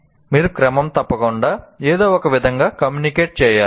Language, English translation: Telugu, You have to constantly somehow communicate